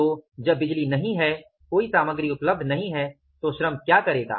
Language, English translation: Hindi, So, when there is no power, no material is available, but the labor will do